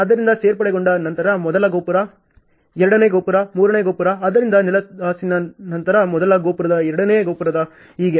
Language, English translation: Kannada, So, after joinery the first tower, second tower, third tower so, after the flooring first tower second tower and so on